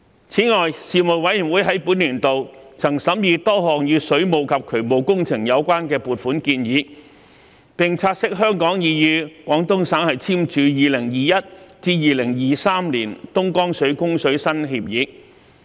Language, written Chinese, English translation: Cantonese, 此外，事務委員會在本年度曾審議多項與水務及渠務工程有關的撥款建議，並察悉香港已與廣東省簽署2021年至2023年的東江水供水新協議。, In addition the Panel examined a number of funding proposals relating to water and drainage works during this session and noted that Hong Kong and the Guangdong Province had entered into a new agreement for the supply of Dongjiang water between 2021 and 2023